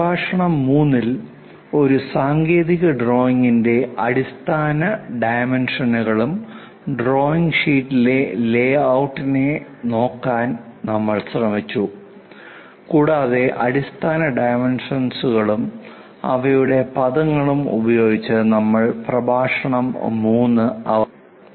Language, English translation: Malayalam, In lecture 3, we try to look at basic dimensions of a technical drawing and the layout of a drawing sheet and we have ended the lecture 3 with basic dimensions and their terminology